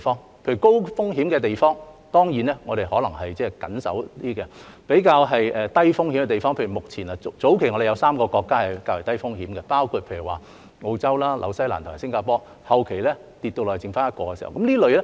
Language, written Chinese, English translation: Cantonese, 例如對於高風險的地方，當然我們可能比較加緊防守；對於較低風險的地方，我們會比較寬鬆，例如早期有3個國家是較低風險的，即澳洲、新西蘭及新加坡，後期跌至只有一個。, In the case of high - risk places for instance we may of course be more defensive . In the case of lower - risk places we will be more relaxed . For example in the early stage three countries were of lower risk namely Australia New Zealand and Singapore but in the later stage they reduced to only one